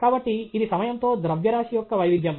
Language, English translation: Telugu, So, this a variation of mass with time